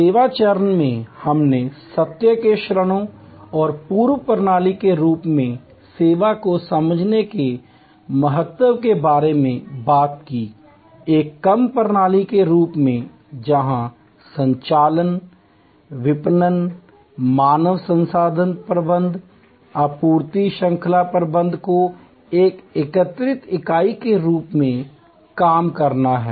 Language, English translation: Hindi, In the service stage we talked about the moments of truth and the importance of understanding service as a complete system, as a seem less system, where operations, marketing, human resource management, supply chain management have to all work as an integrated entity